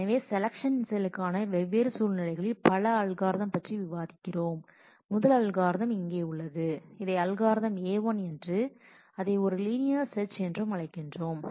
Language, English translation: Tamil, So, the selection for selection we discuss in multiple algorithms for different situations the first algorithm is here we are calling it as algorithm A1 is a linear search